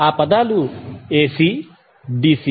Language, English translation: Telugu, Those words were AC and DC